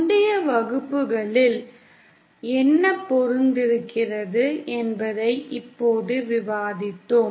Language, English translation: Tamil, Now we have already discussed what is matching in the previous classes